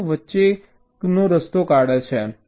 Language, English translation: Gujarati, they do something in between